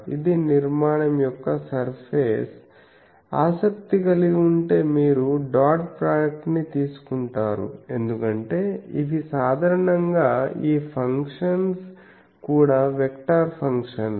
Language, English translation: Telugu, This is over the surface of the structure on which I am interested you take the dot product because these are generally these functions are also vector functions